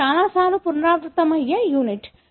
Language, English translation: Telugu, It is a unit, which can be repeated many a times